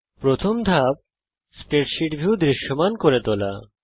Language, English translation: Bengali, The first step is to make the spreadsheet view visible